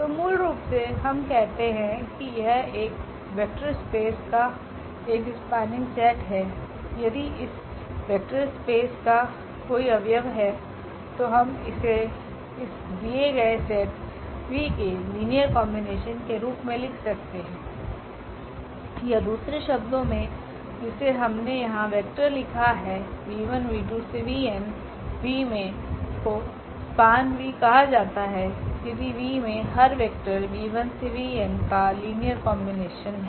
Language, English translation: Hindi, So, basically we call that this is a spanning set of a vector space V if any element of this vector space, we can write down as a linear combination of this given set V or in other words which we have written here the vectors v 1, v 2, v n in V are said to a span V if every v in V is a linear combination of the vectors v 1, v 2, v 3 v n